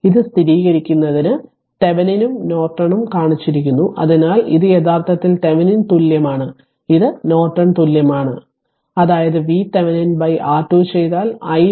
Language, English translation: Malayalam, just to verify this the Thevenin and Norton you are shown in this thing so, this is actually Thevenin equivalent right and this is Norton equivalent; that means, if you divide V Thevenin by R Thevenin you will get i Norton that is 2